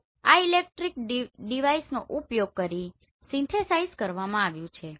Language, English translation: Gujarati, So this has been synthesized using this electronic device